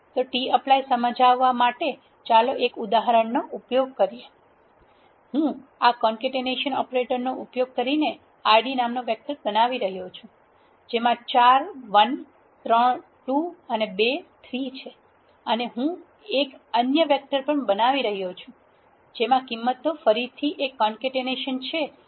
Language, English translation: Gujarati, So, to illustrate tapply let us use this example, I am creating a vector called Id using this concatenation operator which contains four 1’s, three 2’s and two 3’s and I am also creating another vector which is having the values again a concatenation which are having the elements 1 to 9